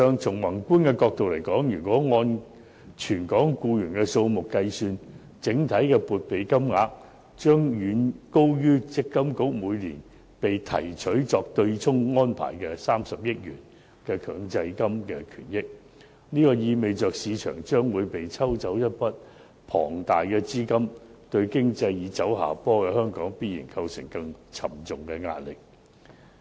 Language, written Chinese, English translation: Cantonese, 從宏觀的角度看，按全港僱員的數目計算，整體撥備金額將遠高於強制性公積金計劃管理局每年被提取用作對沖安排的30億元強積金權益，意味着市場將會被抽走一筆龐大資金，對正走下坡的本港經濟必然構成更沉重的壓力。, From a macro perspective based on the number of employees in Hong Kong the total provisions will far exceed the 3 billion MPF benefits drawn by the Mandatory Provident Fund Schemes Authority every year for the purpose of offsetting which means that huge funds will be withdrawn from the market dealing a further blow to the declining local economy